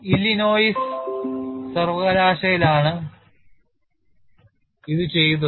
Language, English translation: Malayalam, It is done at University of lllinois